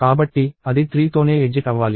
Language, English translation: Telugu, So, it should exit with 3 itself